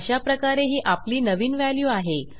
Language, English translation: Marathi, So this will be our new value